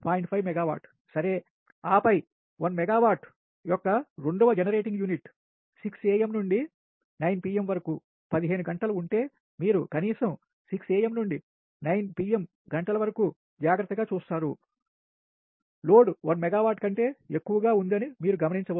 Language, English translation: Telugu, and then, second, generating unit of one megawatt ah requires six am to nine pm, that fifteen hours, if you look carefully, at least six am to nine pm, you can observe that load is more than one megawatt